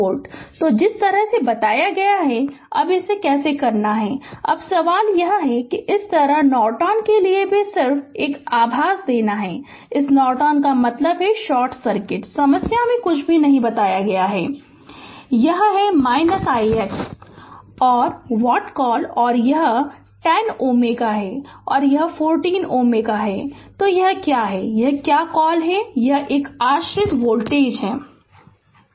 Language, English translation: Hindi, So, the way I told you that how to do it now question is now, similarly for Norton also just to give you a favor this Norton means we have short circuit right, nothing has been told in the problem, but just to give a favor that just we as soon as you have short circuit this, This is my i x dash and your what you call and this is 10 ohm and this is 40 ohm right and this is my your what you call this is a dependent voltage source